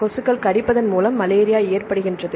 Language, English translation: Tamil, This is why mosquitoes bite and then cause malaria